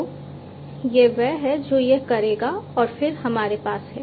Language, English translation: Hindi, So, this is the one which will do it and then we have